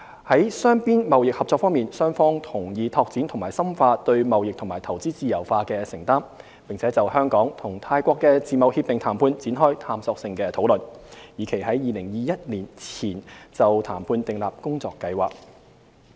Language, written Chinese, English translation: Cantonese, 在雙邊貿易合作方面，雙方同意拓展和深化對貿易和投資自由化的承擔，並就香港與泰國的自貿協定談判展開探索性討論，以期於2021年前就談判訂立工作計劃。, On bilateral trade cooperation both sides agreed to broaden and deepen commitments to trade and investment liberalization . Exploratory talks on negotiating a Hong Kong - Thailand FTA will commence with a view to establishing the work plan for negotiations by 2021